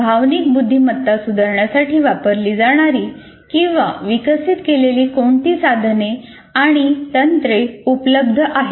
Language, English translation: Marathi, And what are the tools and techniques that are available or that can be used or to be developed for improving emotional intelligence